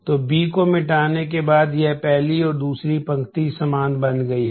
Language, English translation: Hindi, So, after erasing B this first and the second row have become identical